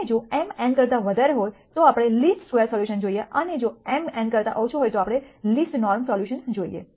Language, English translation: Gujarati, And if m is greater than n we look at a least square solution and if m is less than n then we look at a least norm solution